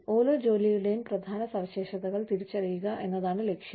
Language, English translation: Malayalam, Purposes are identification of important characteristics of each job